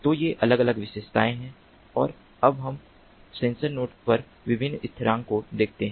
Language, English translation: Hindi, now let us look at the different constants on the sensor node